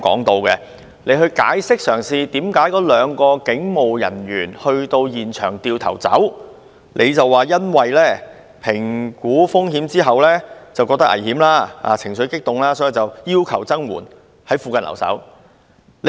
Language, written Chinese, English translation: Cantonese, 他提到該兩名人員評估風險後，認為情況危險及考慮到現場人士情緒激動，所以要求增援，在附近留守。, He mentioned that upon making risk assessment the two officers found the situation risky and considering that the people at the scene were emotionally unstable they therefore requested reinforcement and stood by in the vicinity